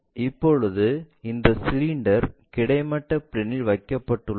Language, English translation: Tamil, Now, this cylinder is placed on horizontal plane